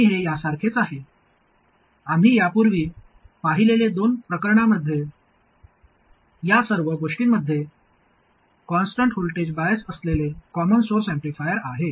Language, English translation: Marathi, And this is the same as in a couple of cases we have seen earlier the common source amplifier with constant voltage bias had exactly these things